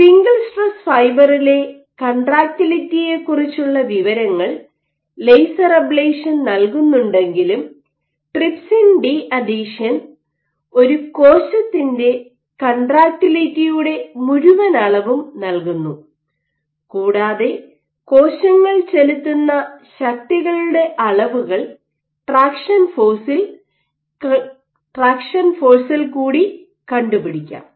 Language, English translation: Malayalam, While laser ablation gives us information about contribution of single stress fiber to contractility, this is cell contractility, trypsin de adhesion gives us a whole cell contractility measure, and traction force gives us forces it main measures forces exerted by cells